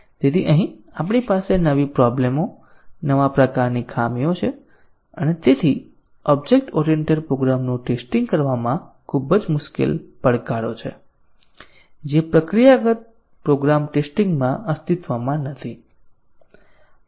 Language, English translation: Gujarati, So, here we have new problems, new types of faults and therefore, very difficult challenges in testing object oriented programs which did not exist in procedural program testing